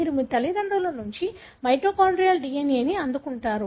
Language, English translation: Telugu, You receive mitochondrial DNA from your parents